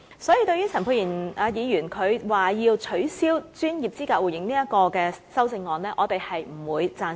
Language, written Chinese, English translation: Cantonese, 所以，對於陳沛然議員提出，要取消專業資格互認這項修正案，我們不會贊成。, Hence I do not agree with Dr Pierre CHANs amendment which seeks to remove the proposal on the promotion of mutual recognition of professional qualifications from the motion